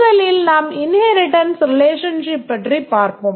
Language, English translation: Tamil, First we'll look at the inheritance relationship